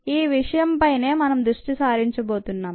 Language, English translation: Telugu, that's where we are going to focus on